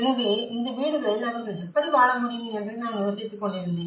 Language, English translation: Tamil, So, I was wondering how could they able to live in these houses